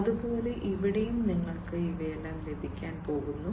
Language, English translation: Malayalam, Likewise, here also you are going to have all of these